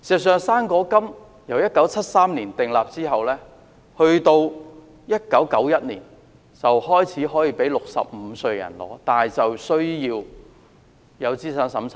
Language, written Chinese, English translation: Cantonese, "生果金"自1973年訂立後，直至1991年開始讓65歲人士領取，但需要資產審查。, The issuance of fruit grant was incepted in 1973 . The eligible age was first lowered to 65 in 1991 but the recipients have to be means - tested